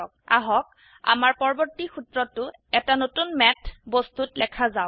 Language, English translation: Assamese, Let us write our next formula in a new Math object here